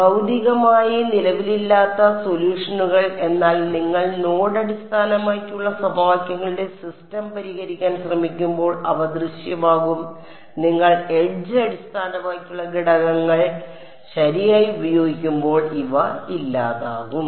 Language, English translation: Malayalam, Solutions which physically do not exist, but they appear when you try to solve the system of equations using node based those go away when you used edge based elements right